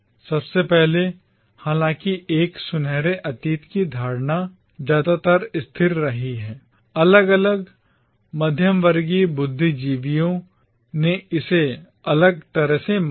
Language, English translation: Hindi, Firstly, though the notion of a golden past remained mostly constant, different middle class intellectuals conceived it differently